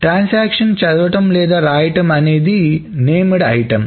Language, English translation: Telugu, A transaction is said to read or write something called a named item